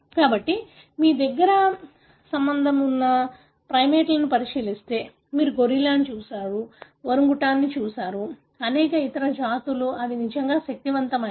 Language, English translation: Telugu, So, if you look into our closely related primates, you look at gorilla, you look at orangutan, many other species they are really, really mighty